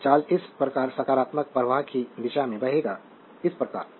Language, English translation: Hindi, So, the charge will flowing in the direction of the your what you call positive flow of charge so, this way